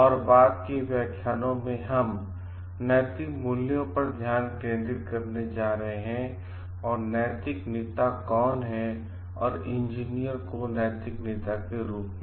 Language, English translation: Hindi, And in the subsequent lectures we are going to focus on the like the moral values and who is the moral leader and engineers as moral leaders